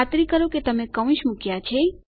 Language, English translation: Gujarati, Make sure you put the brackets